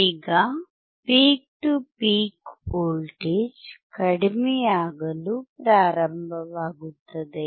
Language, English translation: Kannada, Now the peak to peak voltage start in decreasing